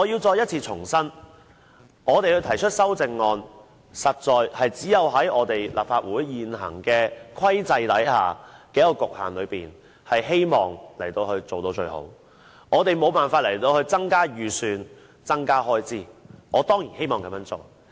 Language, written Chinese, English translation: Cantonese, 我要重申，我們提出修正案，其實是希望在立法會現行制度和局限之中，能夠做到最好，我們無法要求增加預算開支，我當然希望這樣做。, I have to reiterate that we move amendments because we all want to do our best under the existing system and restraints of the Legislative Council . We are unable to ask for any increase in the estimated expenditure which I surely hope that we are allowed to do so